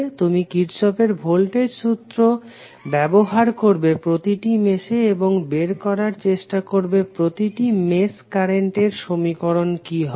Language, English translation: Bengali, You will use Kirchhoff's voltage law in each mesh and then you will try to find out what would be the equations for those mesh currents